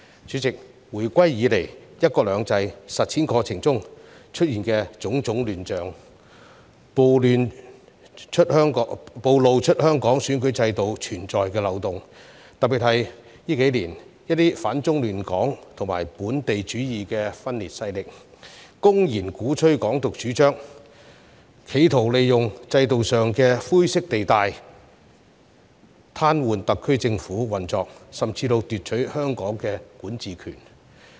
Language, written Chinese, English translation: Cantonese, 主席，回歸以來，"一國兩制"實踐過程中出現種種亂象，暴露了香港選舉制度存在的漏洞，特別在這數年，一些反中亂港及本土主義的分裂勢力公然鼓吹"港獨"主張，企圖利用制度上的灰色地帶，癱瘓特區政府運作，甚至奪取香港的管治權。, President since the handover we have seen chaos happening during the implementation of one country two systems and this has exposed loopholes in the electoral system of Hong Kong . Particularly in recent years some anti - China forces and radical local separatists openly advocated Hong Kong independence and attempted to take advantage of the grey areas in the system to paralyse the operation of the SAR Government and even usurp the power to govern Hong Kong